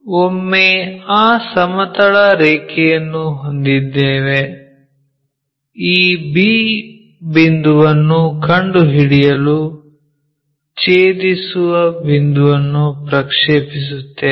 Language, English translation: Kannada, Once, we have that horizontal line the intersection point we project it to locate this b point